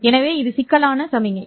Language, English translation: Tamil, So, this is a complex signal